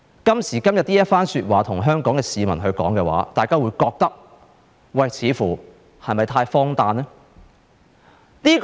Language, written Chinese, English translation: Cantonese, 今時今日，向香港市民說這番話，大家似乎會覺得太荒誕。, Nowadays it seems rather absurd to say this to the people of Hong Kong